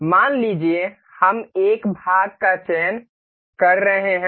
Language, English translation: Hindi, Suppose we are selecting a part